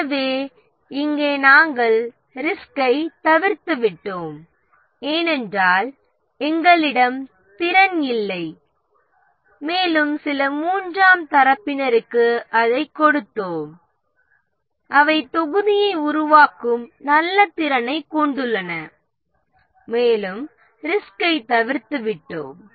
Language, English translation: Tamil, So, here we have avoided the risk because we didn't have capability and we gave it to some third party who have good capability of developing the module and we have avoided the risk